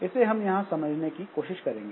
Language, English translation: Hindi, So, this thing we try to understand